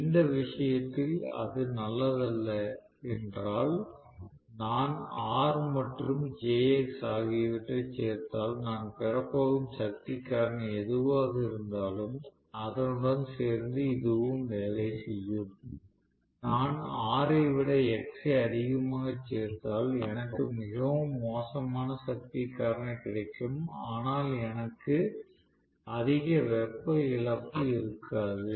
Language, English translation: Tamil, So, if it is not good in that case right, if I include R and jx they will also medal with whatever is the power factor that I am going to get, if I include more x rather than R then I will have very bad power factor, but I will not have much of heat loses